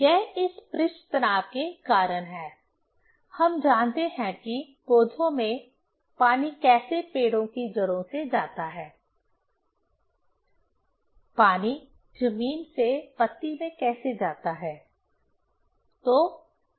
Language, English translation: Hindi, This is because of this surface tension; we know in plants, how water move from roots in tree, how water moves from the ground to the leaf